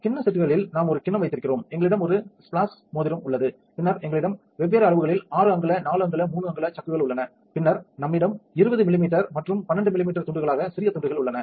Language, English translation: Tamil, In the bowl sets we have a bowl, we have a splash ring, then we have different sizes of chucks 6 inch 4 inch 3 inch, then we have small chucks for bits in pieces normally we have a 20 millimeter and 12 millimeters